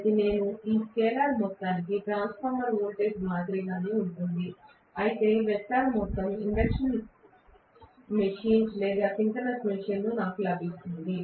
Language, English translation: Telugu, So, I have to this scalar sum is similar to the transformer voltage, whereas the vector sum is whatever I get in induction machine or synchronous machine